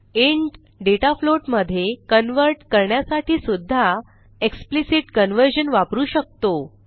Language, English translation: Marathi, To convert a float to an int we have to use explicit conversion